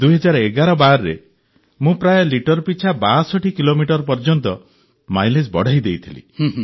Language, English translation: Odia, Sometime in 201112, I managed to increase the mileage by about 62 kilometres per liter